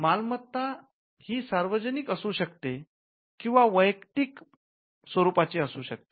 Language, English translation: Marathi, Property can be either public property or private property